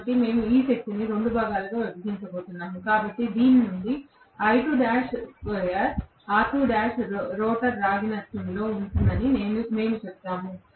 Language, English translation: Telugu, So, we are going to bifurcate this power into 2 portions, so we would say out of this I2 square R2 is going to be the rotor copper loss